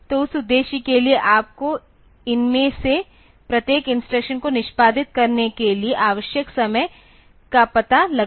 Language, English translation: Hindi, So, for that purpose you need to find out the time needed for executing each of these instructions